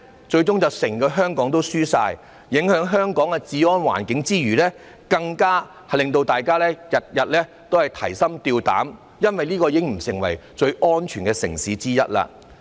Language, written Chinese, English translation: Cantonese, 最終整個香港也會輸，在影響香港的治安環境之餘，更會令大家每天提心吊膽，因為這已經不是最安全的城市之一。, Eventually the whole Hong Kong will lose and in addition to affecting law and order in Hong Kong all of us will live in fear every day because this city will no longer be one of the safest